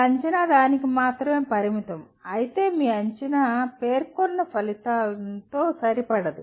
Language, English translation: Telugu, If your assessment is only limited to that, that means your assessment is not in alignment with the stated outcome